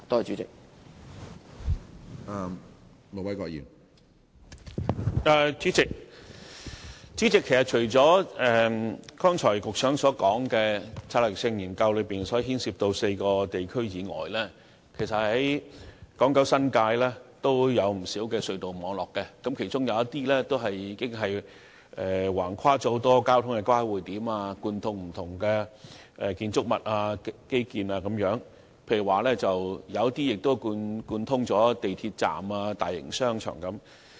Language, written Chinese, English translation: Cantonese, 主席，其實除了局長剛才所說，策略性研究中所牽涉的4個地區之外，港、九、新界也有不少隧道網絡，當中有些橫跨很多交通交匯點，貫通了不同的建築物和基建設施，有些甚至貫通了港鐵站和大型商場。, President apart from the four urban areas selected for the Pilot Study as mentioned by the Secretary just now there are in fact a large number of tunnel networks on Hong Kong Island in Kowloon and in the New Territories . Some of these networks stretch across a number of traffic junctions link up different buildings and infrastructural facilities and some even link up MTR stations and large shopping malls